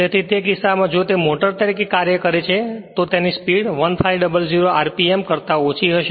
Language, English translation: Gujarati, So, in that case its speed will be later will see if it acts as a motor its speed will be less than your 1,500 RMP right